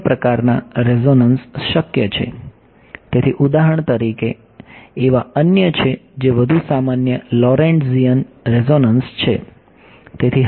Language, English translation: Gujarati, There are other kinds of resonances possible so, for example, there are others are more general are Lorentzian resonances